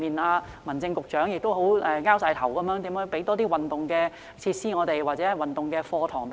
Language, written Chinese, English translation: Cantonese, 如何為有需要的兒童及家庭，提供更多運動設施或運動課堂？, How can the Government provide more sports facilities or sports classes to children and families in need?